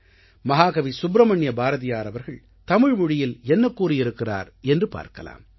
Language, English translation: Tamil, Towards the end of the 19th century, Mahakavi Great Poet Subramanya Bharati had said, and he had said in Tamil